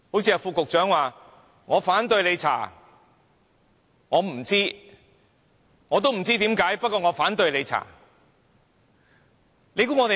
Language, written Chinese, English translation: Cantonese, 正如副局長說："我反對你調查；我不知道；我也不知為何，不過我反對你調查"。, The Under Secretary for example keeps saying I dont want you to conduct any investigation . I dont know anything about the incident and I dont know why it happened either